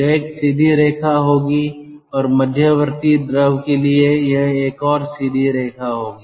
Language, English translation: Hindi, and for the intermediate fluid, that will be another straight line